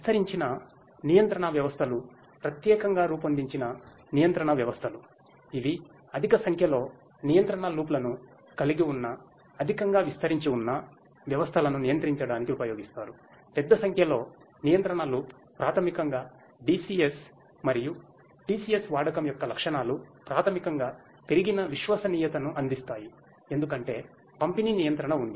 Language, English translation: Telugu, Distributed control systems are specially designed control systems that are used to control highly distributed plants having large number of control loops; large number of control loops is basically the characteristics of the use of DCS and DCS basically provides an increased reliability because there is distributed control